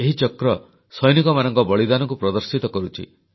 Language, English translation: Odia, This circle stands for the sacrifice of our soldiers